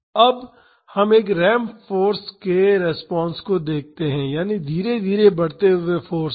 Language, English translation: Hindi, Now, let us see the response to a ramp force; that means a gradually increasing force